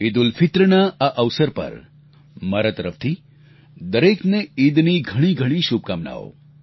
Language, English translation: Gujarati, On the occasion of EidulFitr, my heartiest greetings to one and all